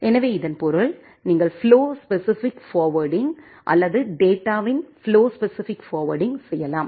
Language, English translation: Tamil, So that means, you can make flow specific forwarding or flow specific routing of the data